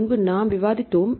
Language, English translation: Tamil, We discussed earlier